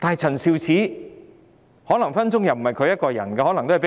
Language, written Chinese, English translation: Cantonese, 陳肇始可能是被人命令做事。, Prof Sophia CHAN may probably just act on orders